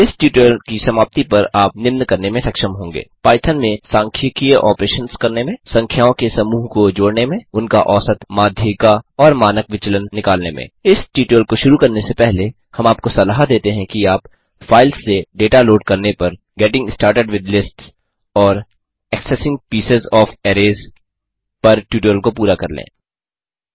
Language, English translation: Hindi, At the end of this tutorial,you will be able to, Do statistical operations in Python Sum a set of numbers Find their mean,median and standard deviation Before beginning this tutorial,we would suggest you to complete the tutorial on Loading Data from files Getting started with Lists and Accessing Pieces of Arrays